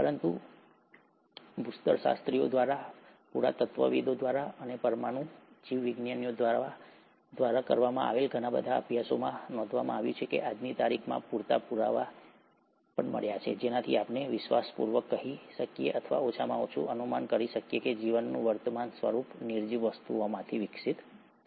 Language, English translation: Gujarati, But, lot of studies done by geologists, by archaeologists, by molecular biologists, have noticed that there are enough proofs as of today, with which we can confidently say or at least speculate that the present form of life has evolved from non living things